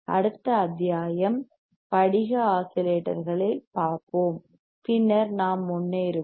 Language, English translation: Tamil, And let us see in the next module, crystal oscillators and then we will move forward